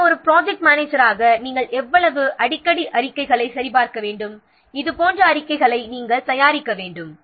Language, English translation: Tamil, So, the how frequently as a project manager you should check the reports, you should prepare the reports like this